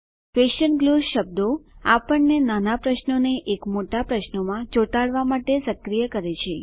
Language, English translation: Gujarati, Question glue words enable us to glue small questions into one big question